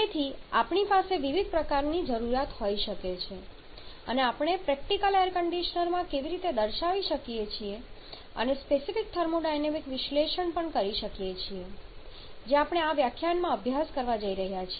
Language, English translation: Gujarati, So, we may have different kinds of requirements and how that we can perform in a practical air conditioner and also inform that exactly what we are going to study in this lecture